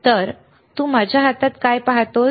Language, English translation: Marathi, So, what do you see in my hand here, right